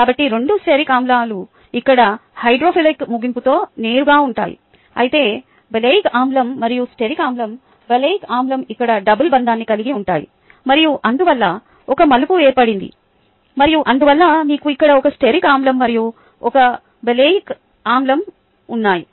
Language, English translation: Telugu, so both stearic acids would be both straight here with the hydrophilic and here, whereas oleic acid and stearic acid, oleic acid has a double bond here and therefore a kink, and therefore you have one stearic acid and one oleic acid here